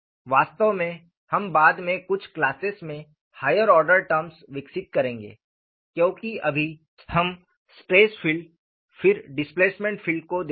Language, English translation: Hindi, They do not even discuss the higher order terms; in fact, we would develop higher order terms in a few classes afterwards, because right now, we will look at stress field then displacement filed